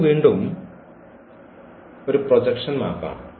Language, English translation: Malayalam, This again its a projection map